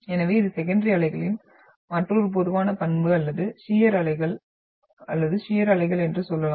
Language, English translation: Tamil, So this is another typical characteristic of the secondary waves or we can say shear waves or transverse waves